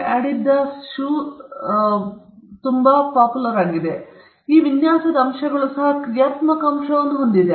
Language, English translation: Kannada, So, those design elements have also a functional component